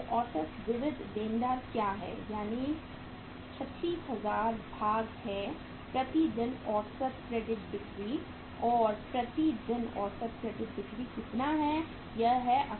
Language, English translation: Hindi, So what is the average sundry debtors that is the 36000 divided by the average credit sales per day and average credit sales per day how much that is 18000